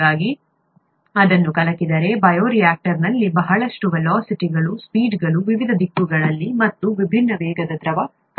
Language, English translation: Kannada, So if it is stirred, there is going to be a lot of velocities, velocities in, speeds in different directions, different velocities of the fluid particles in the bioreactor